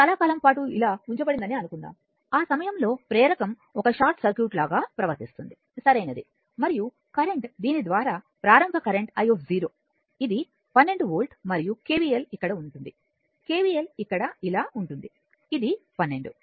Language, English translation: Telugu, Suppose this one it was positioned like this for a long time, at that time inductor is behaving like a short circuit right and current through this that initial current that is i 0, it will be 12 volt and if you apply KVL here if you apply KVL here like this, it will be 12 by 12 volt by 12 ohm is equal to 1 ampere right